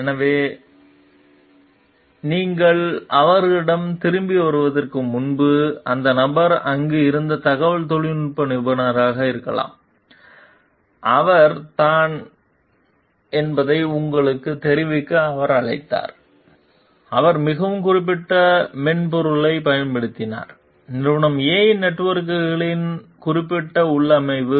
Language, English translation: Tamil, So, because before you got back to them may be the IT professional who person was there, he called to inform you that he was, he has used a very specific software, a specific configuration of companies A s networks